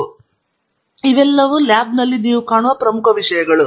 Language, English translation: Kannada, So, these are the major things that you would see in a lab